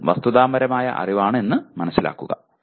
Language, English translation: Malayalam, Even that is factual knowledge, okay